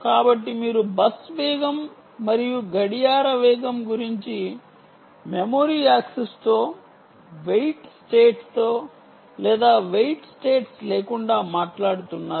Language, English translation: Telugu, so are you talking about bus speeds and clock speeds with memory access, with ah weight states or without weight states